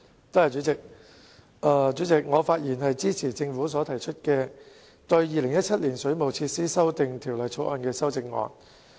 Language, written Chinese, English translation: Cantonese, 代理主席，我發言支持政府對《2017年水務設施條例草案》提出的修正案。, Deputy President I rise to speak in support of the Governments amendments to the Waterworks Amendment Bill 2017 the Bill